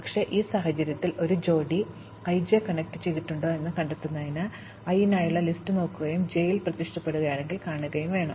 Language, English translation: Malayalam, But, in this case in order to find out, whether a given pair i j is connected, we have to look at the list for i and see, if j appears in it